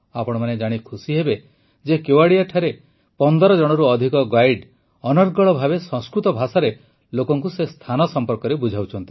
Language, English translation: Odia, You will be happy to know that there are more than 15 guides in Kevadiya, who guide people in fluent Sanskrit